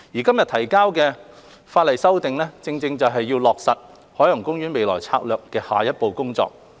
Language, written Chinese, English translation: Cantonese, 今天提交的法例修訂正是要落實海洋公園未來策略的下一步工作。, The current legislative amendment exercise is the next step for taking forward the future strategy for OP